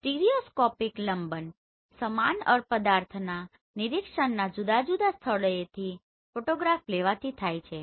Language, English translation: Gujarati, Stereoscopic parallax is caused by taking photograph of the same object, but from different point of observation